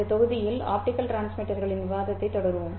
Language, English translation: Tamil, In this module we will continue the discussion of optical transmitters